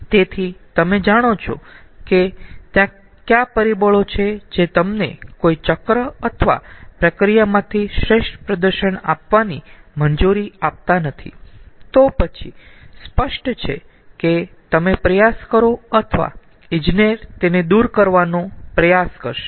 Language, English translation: Gujarati, so once you know what are the factors, which is ah not allowing you to have the best performance out of a cycle or a process, then obviously you will try, or an engineer will try, to remove this